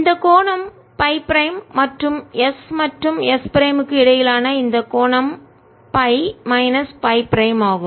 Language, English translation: Tamil, this angle is phi prime and this angle between s and s prime is phi minus phi prime